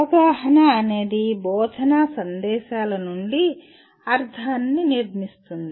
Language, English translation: Telugu, Understanding is constructing meaning from instructional messages